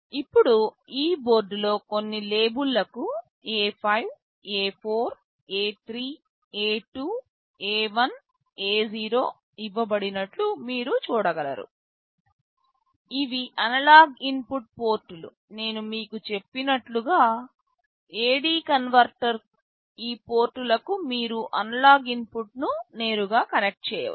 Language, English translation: Telugu, Now, in this board you will see that some labels are given A5, A4, A3, A2, A1, A0 these are the analog input ports; the A/D converter I told you you can connect an analog input directly to these ports